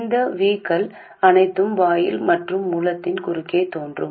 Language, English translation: Tamil, All of this VS appears across the gate and source